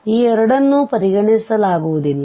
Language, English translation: Kannada, So therefore, these two will not be considered